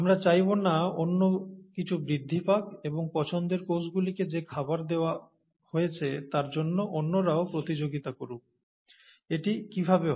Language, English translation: Bengali, We do not want the others to grow, and compete for the food that is given to the cells of interest, okay